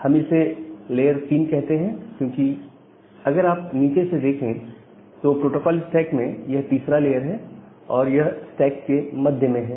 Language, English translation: Hindi, So, we call it as the layer 3, because from bottom up it is at the third layer it is in the middle of all the layers of the protocol stack